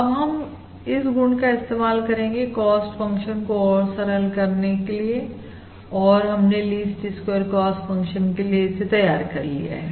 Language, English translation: Hindi, Now we are going to use that property to simplify this cost function that we have developed for the least squares cost function